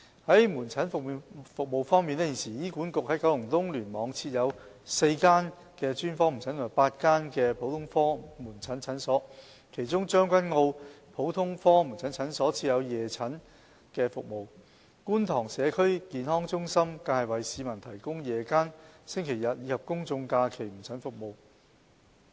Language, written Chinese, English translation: Cantonese, 在門診服務方面，現時醫管局在九龍東聯網設有4間專科門診和8間普通科門診診所，其中將軍澳的普通科門診診所設有夜診服務，觀塘社區健康中心更為市民提供夜間、星期日及公眾假期門診服務。, On outpatient services HA is currently operating four specialist outpatient and eight general outpatient clinics in KEC . Among these clinics the general outpatient clinic in Tseung Kwan O provides evening consultation services whereas the Kwun Tong Community Health Centre even provides the public with evening as well as Sundays Public Holidays outpatient services